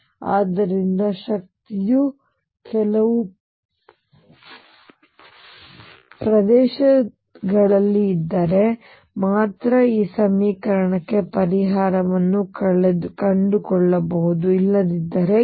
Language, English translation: Kannada, So, only if energy is in certain regions that I can find the solution for this equation, otherwise no